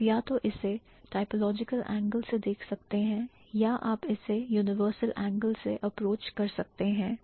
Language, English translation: Hindi, You can either approach it from a typological angle or you can approach it from a universal angle